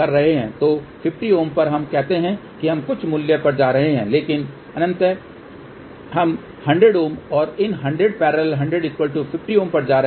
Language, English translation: Hindi, So, on 50 ohm let us say we are going to some value, but ultimately we are going to 100 ohm and these 100 in parallel with 100 will be 50